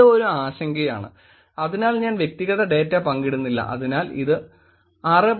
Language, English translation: Malayalam, It is a concern, hence I do not share personal data so that is 6